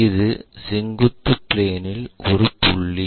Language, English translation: Tamil, And this is a point on vertical plane